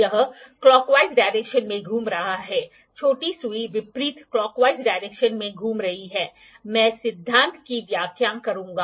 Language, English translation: Hindi, It is moving in a clockwise direction, the smaller needle is moving with the anti clockwise direction, I will explain the principle